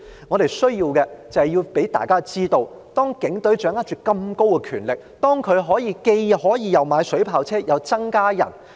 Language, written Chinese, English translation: Cantonese, 我們需要讓大家知道，警隊掌握那麼大的權力——可以買水炮車，同時又增加人手。, We need to let people know that the Police have such powerful authority―it can buy water cannon vehicles and increase manpower at the same time